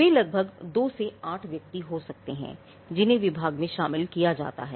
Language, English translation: Hindi, They could be around 2 to 8 personal who are inducted into the department